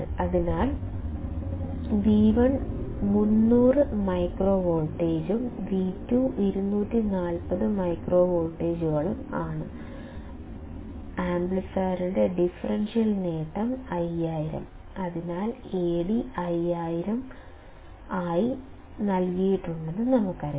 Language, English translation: Malayalam, So, it is given that V1 is 300 microvolts and V2 is 240 microvolts; the differential gain of the amplifier is 5000; so, we know that A d is also given as 5000